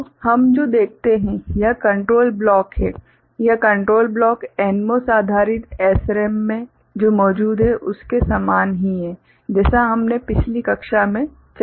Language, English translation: Hindi, So, what we see, this is the you know the control block; this control block is similar to what is there in the NMOS based SRAM that we discussed in the last class